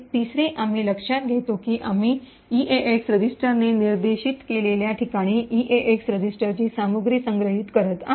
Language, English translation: Marathi, Third, we note that we are storing contents of the EDX register into the location pointed to by the EAX register